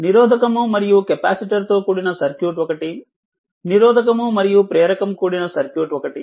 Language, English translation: Telugu, A circuit you are comprising a resistor and a capacitor and a circuit comprising a resistor and your inductor